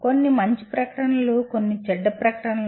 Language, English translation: Telugu, Some are good statements some are bad statements